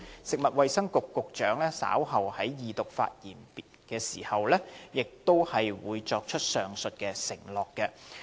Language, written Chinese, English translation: Cantonese, 食物及衞生局局長稍後就恢復二讀辯論發言時，亦會作出上述承諾。, Later the Secretary for Food and Health will give the above undertakings in his speech for resumption of the Second Reading debate on the Bill